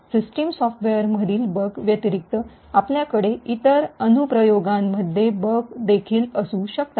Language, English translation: Marathi, In addition to the bugs in the system software, you could also have bugs in other applications that are present